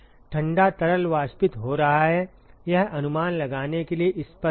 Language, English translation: Hindi, Cold fluid evaporating, sort of obvious to guess that